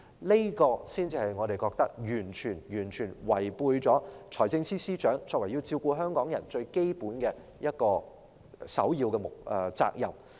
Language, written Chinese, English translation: Cantonese, 這正是為何我們認為財政司司長完全違背了他要照顧香港人的這個首要的基本責任。, This is exactly why we hold that FS has totally violated his primary and fundamental responsibility to take care of the people of Hong Kong